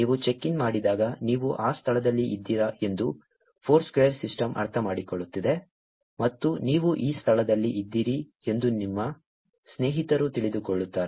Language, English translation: Kannada, When you check in, the Foursquare system understands that you are in that location and your friends get to know that you are in this location